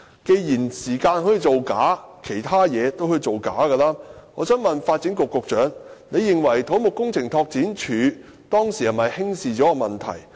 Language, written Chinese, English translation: Cantonese, 既然時間可以造假，其他東西也可以造假，我想問發展局局長，他認為土木工程拓展署當時有否輕視問題？, Since the testing times had been falsified other areas could also be falsified . I would like to ask the Secretary for Development Does he think that CEDD had underestimated the problem at that time?